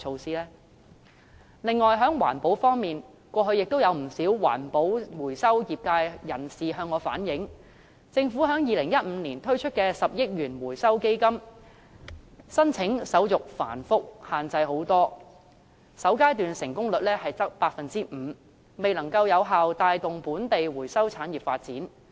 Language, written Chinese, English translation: Cantonese, 此外，在環保方面，過去不少環保回收業界人士向我反映，政府在2015年推出的10億元回收基金，申請手續繁複，限制甚多，首階段成功率只有 5%， 未能有效帶動本地回收產業發展。, Besides regarding environmental protection many members of the recycling industry have relayed to me in the past that the application procedures for the Recycling Fund of 1 billion launched by the Government in 2015 are complicated with numerous restrictions . The percentage of successful applications in the first phase was only 5 % . It has failed to effectively stimulate the development of the local recycling industry